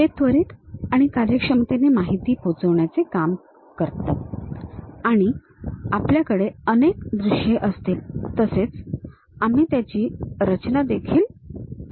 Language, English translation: Marathi, They can be quickly and efficiently convey information and we will have multiple views also we can easily construct